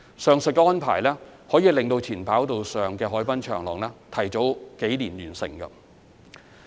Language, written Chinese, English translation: Cantonese, 上述安排能令前跑道上的海濱長廊提早數年落成。, This arrangement has advanced the completion of the waterfront promenade by a few years